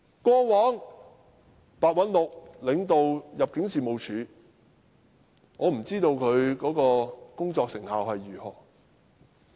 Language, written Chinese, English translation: Cantonese, 過往白韞六領導入境事務處，我不知道他工作成效如何。, Simon PEH used to lead the Immigration Department and I have no idea how he had performed at work